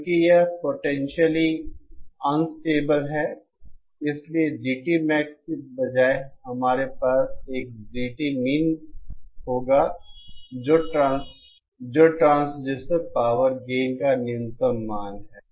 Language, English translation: Hindi, Since this is now potentially unstable, instead of GT Max we will have a GTmin that is the minimum value of the transducer power gain